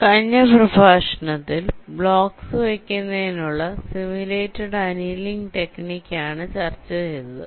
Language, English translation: Malayalam, so now, last lecture we looked at the simulated annealing technique for placement of the blocks